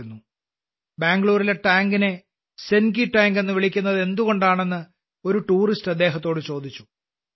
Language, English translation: Malayalam, On one such trip, a tourist asked him why the tank in Bangalore is called Senki Tank